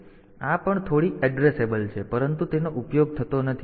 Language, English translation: Gujarati, So, this is also bit addressable, but it is not used